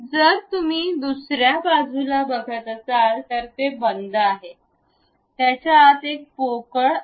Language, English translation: Marathi, So, if you are seeing on other side, it is close; inside it is a hollow one